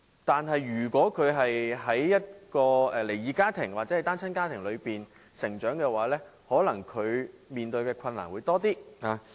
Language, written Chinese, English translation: Cantonese, 但是，如果他們在離異家庭或單親家庭成長，便可能要面對比較多的困難。, However if they grow up in split families or single - parent families they may have to face relatively more difficulties